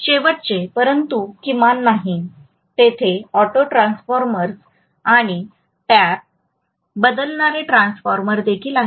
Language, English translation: Marathi, Last but not the least, there are also auto Transformers and Tap Changing transformer